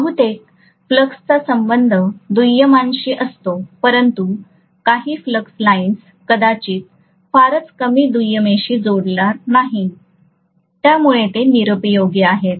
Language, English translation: Marathi, Most of the flux actually links with the secondary but some of the flux lines, maybe very few, they will not link with the secondary, so those are useless